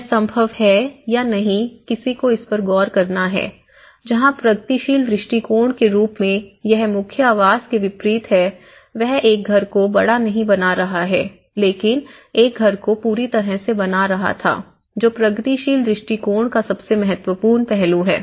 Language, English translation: Hindi, But, this is something whether it is possible or not that one has to look into it but whereas, in progressive approach it is unlike the core dwelling is not making a house bigger but were making a house finished you know, to the complete manner, that is the most important aspect of the progressive approach